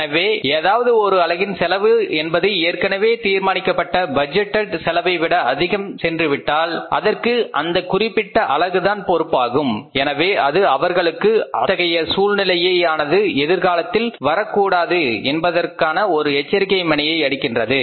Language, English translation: Tamil, So, if any unit's cost has gone beyond the budget order budgeted or pre determined cost that unit can be held responsible for that increase in the cost and they can be alarmed that it should not happen in future